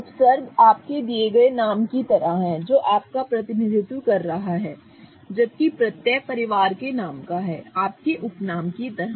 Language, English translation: Hindi, So, prefix is like your name, your given name which is representing you whereas suffix belongs to the family name, so like your surname